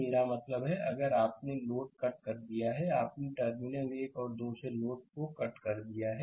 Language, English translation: Hindi, I mean, if you disconnected the load; you have disconnected the load from the terminal 1 and 2